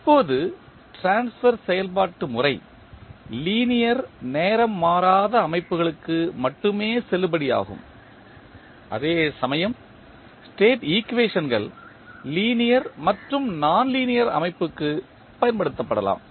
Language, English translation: Tamil, Now, transfer function method is valid only for linear time invariant systems whereas State equations can be applied to linear as well as nonlinear system